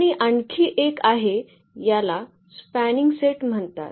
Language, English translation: Marathi, And there is another one this is called a spanning set